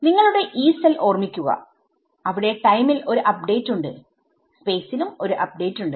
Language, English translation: Malayalam, So, you remember your Yee cell there is an update in time, there is an update in space right